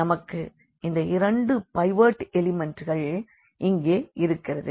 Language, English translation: Tamil, So, we have these two pivot elements here